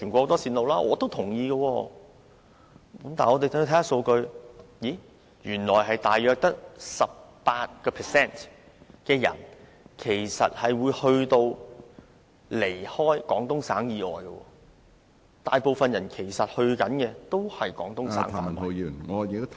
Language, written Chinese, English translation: Cantonese, 但是，我們看一看數據，原來大約只有 18% 的人會離開廣東省以外，大部分的目的地都是廣東省......, But let us look at the figures . Only about 18 % of travellers will go beyond Guangdong Province and most of the destinations are within Guangdong Province